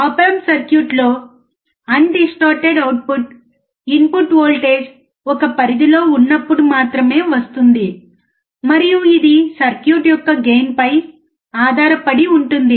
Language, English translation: Telugu, In op amp circuits, undistorted output can only be achieved for a range of input voltage, and that depends on gain of the circuit